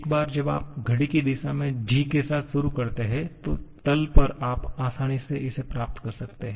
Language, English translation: Hindi, Once you go in the clockwise direction starting with g at the bottom you can easily get this